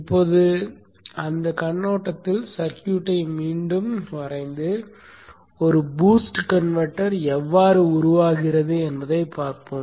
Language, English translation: Tamil, Now let us redraw the circuit in that perspective and see how a boost converter comes into being